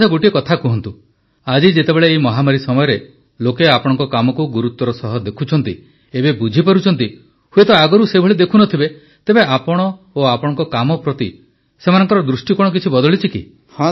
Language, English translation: Odia, Okay, tell us…today, during these pandemic times when people are noticing the importance of your work, which perhaps they didn't realise earlier…has it led to a change in the way they view you and your work